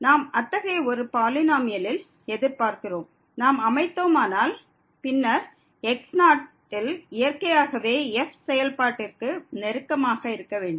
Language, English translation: Tamil, We expect such a polynomial if we construct then there should be close to the function naturally at function value is 0